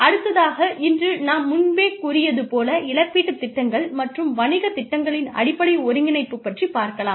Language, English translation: Tamil, The other thing, that we will talk about today is, strategic integration of compensation plans and business plans